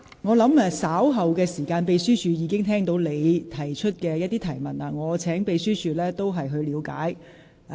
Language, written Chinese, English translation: Cantonese, 我相信秘書處人員已聽到你提出的疑問，我會請秘書處稍後時間了解一下。, I believe the Secretariat staff have heard the query raised by you . I will ask the Secretariat to look into it later